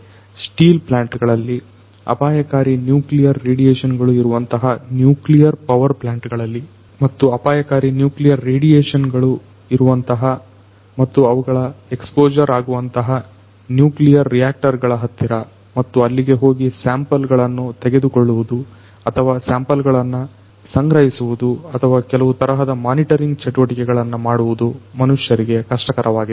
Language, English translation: Kannada, In steel plants, in nuclear power plants where there are hazards of nuclear radiation and you know maybe close to the nuclear reactors, where there is hazard of nuclear radiations and their exposure and it is difficult for humans to go and take samples or collect samples or do certain types of monitoring activities